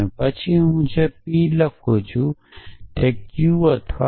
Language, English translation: Gujarati, And then which I can write as p implies q or q implies p